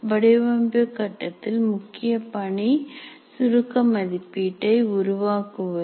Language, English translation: Tamil, The main activity of design phase is generating summative assessments